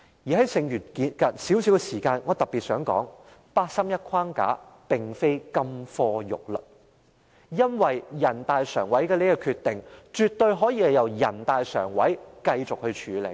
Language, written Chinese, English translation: Cantonese, 在剩餘的少許時間內，我特別想說，八三一框架並非金科玉律，因為人大常委會的決定絕對可以由人大常委會繼續處理。, With the little time left I would like to specifically point out that the 31 August framework is no golden rule because a decision made by NPCSC can definitely be taken up by NPCSC itself on an ongoing basis